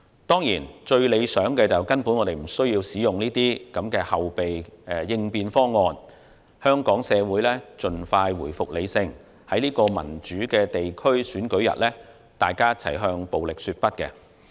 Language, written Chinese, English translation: Cantonese, 當然，最理想的是根本不需要使用這些後備應變方案，香港社會盡快回復理性，大家一起在這個民主的地區選舉日向暴力說不。, It will of course be most ideal if there is utterly no need for us to invoke any of these contingency plans our community can return to rationality as soon as possible and all of us will say no to violence on the upcoming polling day of a democratic district election